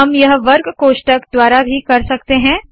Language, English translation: Hindi, We can do this also with square brackets